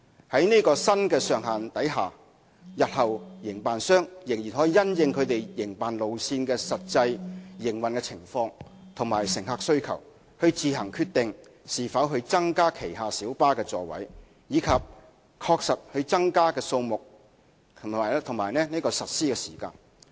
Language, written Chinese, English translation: Cantonese, 在這新的上限下，營辦商日後可因應其營辦路線的實際營運情況和乘客需求，自行決定是否增加旗下小巴的座位，以及確實增加的座位數目和實施時間。, Under the new cap operators may take into account the operational conditions and passenger demand so as to decide on their own in future whether to increase the seating capacity of their PLBs and if so the exact number of additional seats and the time of implementation